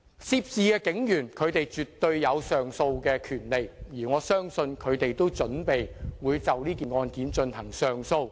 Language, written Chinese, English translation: Cantonese, 涉事警員絕對有上訴的權利，而我相信他們也準備就此案上訴。, The police officers involved absolutely have the right to appeal and I believe they are prepared to lodge an appeal on this case